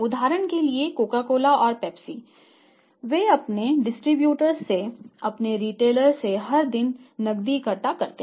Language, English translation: Hindi, It means as I am telling you Coca Cola and Pepsi they collect the cash everyday from their distributors from their retailers